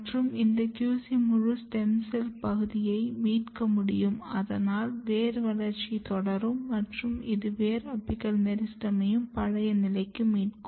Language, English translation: Tamil, And this QC basically recovers entire stem cell niche here, so that root continue growing and this will basically leads to the recovered state of the root apical meristem